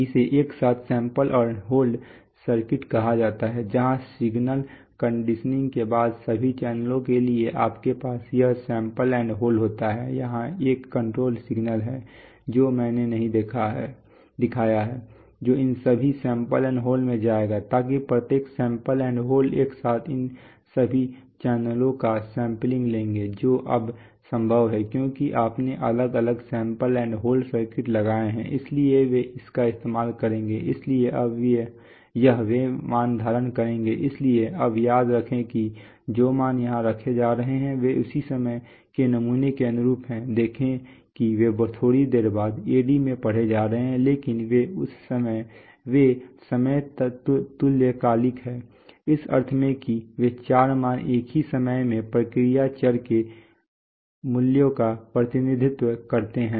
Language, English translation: Hindi, Which is called the simultaneous sample and hold circuit, where after signal conditioning you have this sample and hold, at for all channels, individual sample and hold and a, what I have not shown, but what exists is that there is a control signal which will go to all these sample and holds, so that each sample and hold will simultaneously sample all these channels that is possible now because you have, because you have put separate sample and hold circuits, so they will use so they will, now this so they will hold the values, so now remember that the values which are being held here correspond to samples at the same instant of time, see they are going to be read into the AD little bit later but they are time synchronous, in the sense that the, those four values represent values of process variables at the same instant of time